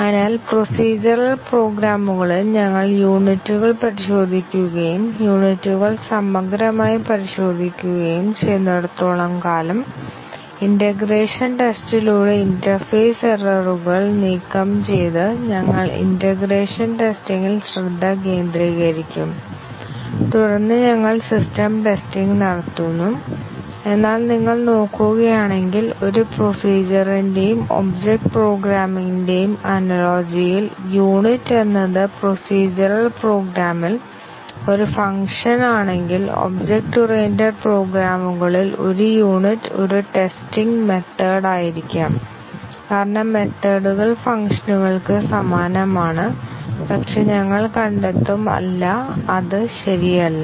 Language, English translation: Malayalam, So, the idea is that in procedural programs we test the units and as long as the units have been thoroughly tested, we then concentrate on integration testing removing the interface errors through the integration testing and then we do the system testing, but if you look at the analogy of a procedure and a object program you might think that, if unit is a function in procedural program a unit of testing in object oriented programs may be a method because methods are analogous to functions, but as we will find out, no, it is not correct